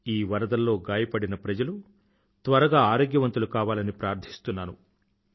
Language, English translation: Telugu, I earnestly pray for those injured in this natural disaster to get well soon